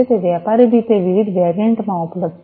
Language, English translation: Gujarati, It is available commercially in different variants